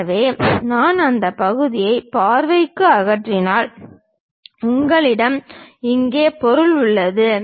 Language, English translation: Tamil, So, if I remove that part visually, you have material which is visible here